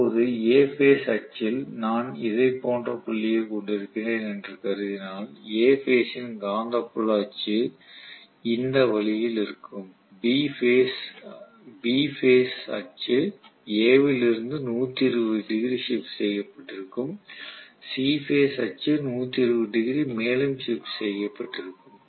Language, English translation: Tamil, Now, A phase axis if I assume that I am having the dot like this the A phase magnetic field axis will be this way, so I am just showing the A phase axis some what like this and B axis will be 120 degrees shifted, C axis will be 120 degrees shifted further that is it right